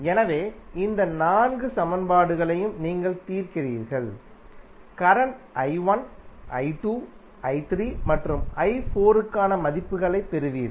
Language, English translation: Tamil, So, you solve these four equations you will get the values for current i 1, i 2, i 3 and i 4